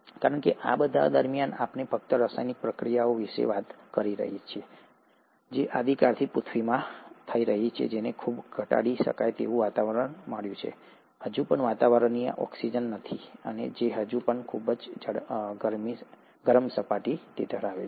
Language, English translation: Gujarati, Because all this while, we are just talking about chemical reactions which are happening in a primordial earth, which has got a highly reducing environment, still doesn't have atmospheric oxygen, and it still has a very hot surface